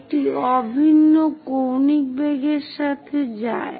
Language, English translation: Bengali, It goes with uniform angular velocity